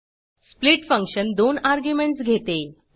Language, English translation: Marathi, split function takes two arguments